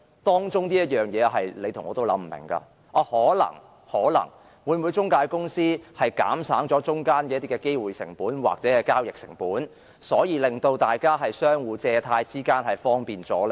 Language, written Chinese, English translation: Cantonese, 當中的原因是你和我也想不通的，可能是透過中介公司會否減省一些機會成本或交易成本，因而令大家的借貸活動更為方便呢？, The reason for engaging an intermediary is incomprehensible to us all . Perhaps the opportunity cost or transaction cost can be reduced by involving an intermediary which hence makes it more convenient for borrowing and lending a high sounding argument from an economics perspective